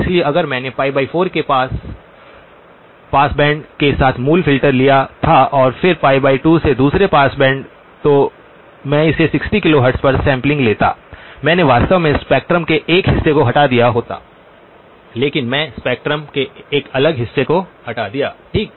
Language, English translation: Hindi, So this if I had taken the original filter with the pass band up to pi divided by 4 and then another pass band from pi divided by 2 to pi, I would have sample it at 60 kilohertz, I would have actually done a removal of a portion of the spectrum but I removed a different portion of the spectrum okay